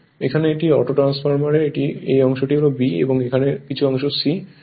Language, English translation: Bengali, The here it is, here it is the auto transformer it is A this part is B and this here some part is C right